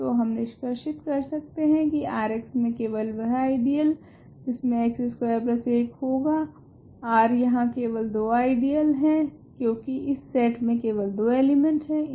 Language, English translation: Hindi, So, we can conclude the only ideals in R x that contain x square plus 1 R there are only two ideals because this set has two elements